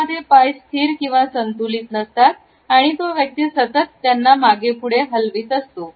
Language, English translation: Marathi, Feet which are rather unsteadily balanced and the person is continually swing back and forth